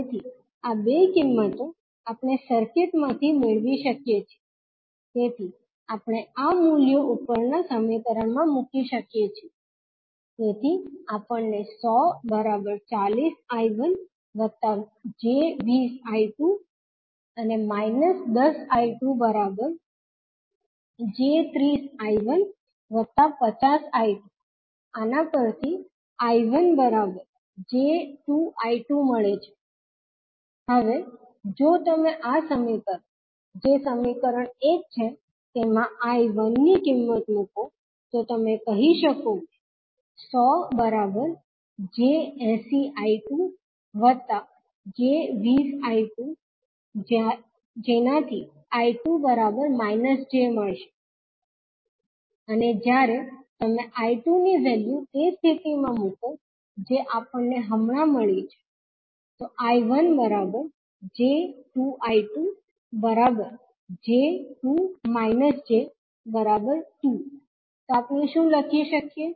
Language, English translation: Gujarati, So, these two values we can get from the circuit, so we can put these values in the above equation, so we get 100 equal to 40 I1 minus, plus J20 I2 and when we put the value of V2 as minus 10 I2 in the second equation and simplify we get I1 is nothing but equal to J times to I2